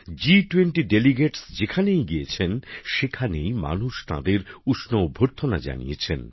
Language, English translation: Bengali, Wherever the G20 Delegates went, people warmly welcomed them